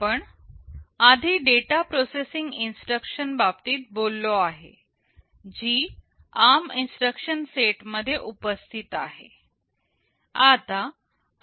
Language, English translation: Marathi, We first talked about the data processing instructions that are present in the ARM instruction set